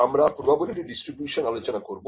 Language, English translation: Bengali, We will discuss about the probability distributions